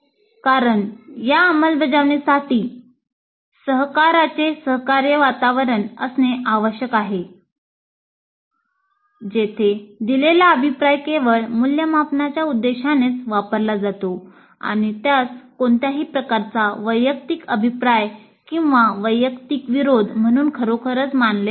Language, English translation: Marathi, Of course the implementation of this would require considerable kind of a cooperative environment where the feedback that is given is used only for the purpose of evaluation and it is not really considered as any kind of personal kind of feedback or a personal kind of affront